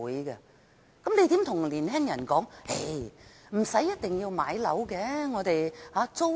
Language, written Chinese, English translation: Cantonese, 那我們如何對年青人說不一定要買樓，租住也可以？, Then how can we tell the young people that they do not necessarily have to buy a flat and renting a home is also an option?